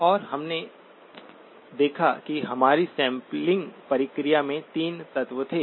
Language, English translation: Hindi, And we did observe that there were 3 elements of our sampling process